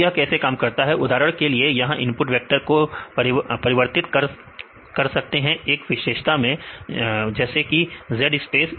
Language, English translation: Hindi, So, how it works for example, many times input vector its here, the input vector right this is transformed to the feature space like z space